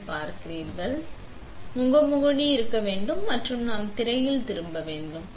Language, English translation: Tamil, So, the first thing we do is we have to have a mask loaded and then we turn the screen on